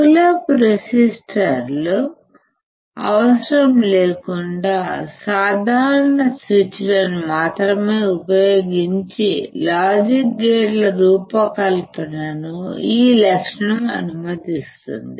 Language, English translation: Telugu, This characteristic allows the design of logic gates using only simple switches without need of pull up resistors, when we do not require pull up resistors